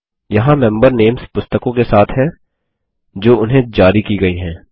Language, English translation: Hindi, Here are the member names, along with the books that were issued to them